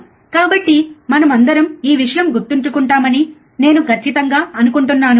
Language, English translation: Telugu, So, I am sure all of us remember this thing, right